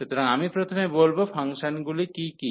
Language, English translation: Bengali, So, first I will define what are those functions